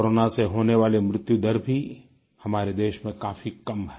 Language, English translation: Hindi, The mortality rate of corona too is a lot less in our country